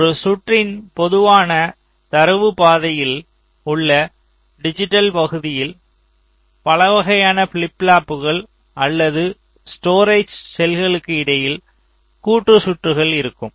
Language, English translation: Tamil, now, in a typical data path, when digital portion of a circuit, we encounter such kinds of circuit where there are a number of flip pops or storage cells, there are combination circuits in between